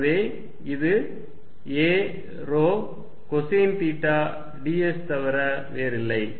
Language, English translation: Tamil, So, this is nothing but a rho cosine of theta d s